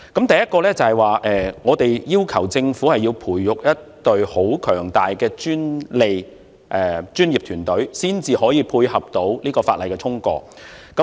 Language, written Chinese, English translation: Cantonese, 第一，我們要求政府培育一隊強大的專利專業團隊，以配合這項法例的通過。, First we asked the Government to foster a professional patent workforce to support the passage of the legislation